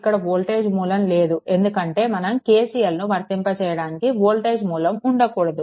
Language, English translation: Telugu, So, voltage source is not there because we have to apply your what you call that your KCL